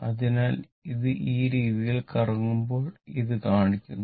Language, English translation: Malayalam, So, this is taking at when it is revolving in this way, this is shown